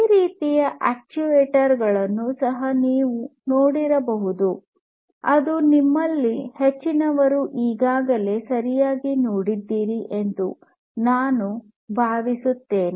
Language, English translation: Kannada, You could also have actuators like these which I think most of you have already seen right